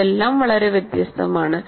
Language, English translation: Malayalam, That is very different